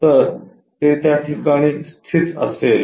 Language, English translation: Marathi, So, that a will be located